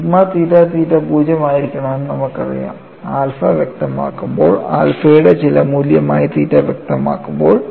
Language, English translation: Malayalam, And, we already known sigma theta theta has to be 0, when alpha is specified, when theta is specified as some value of alpha